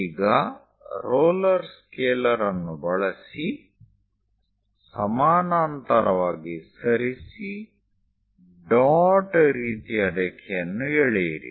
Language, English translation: Kannada, Now use your roller scaler, move parallel, draw dash dot kind of line